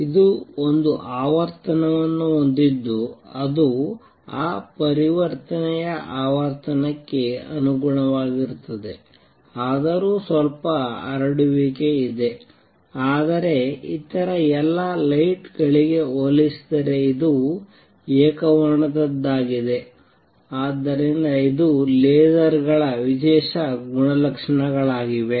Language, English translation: Kannada, It has one frequency that corresponds to that transition frequency although there is going to be some spread, but is highly monochromatic compared to all other lights, so that is the special properties of lasers